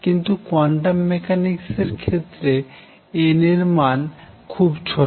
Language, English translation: Bengali, So, in quantum mechanics n is small